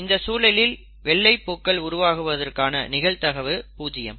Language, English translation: Tamil, And the probability of getting white flowers is zero